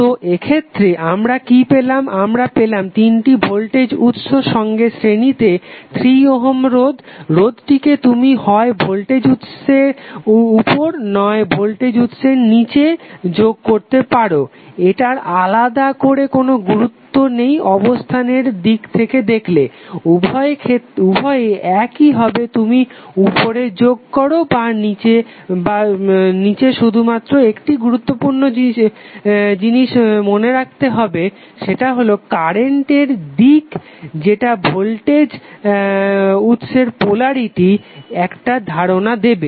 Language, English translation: Bengali, So in this case what we have got, we have got 3 voltage source in series with 3 ohm resistance now, this resistance you can either put above the voltage source below the voltage source it does not have any significance from location prospective so, both would be same either you put up side or down ward the only important thing which you have to remember is that, the direction of current will give you the idea that how the polarity of the voltage source would be define